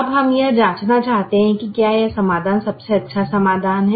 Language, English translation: Hindi, now we want to check whether this solution is the best solution